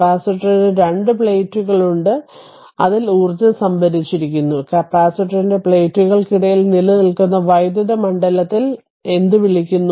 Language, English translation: Malayalam, That you have capacitor you have two plates, so energy stored in the, what you call in the electric field that exist between the plates of the capacitor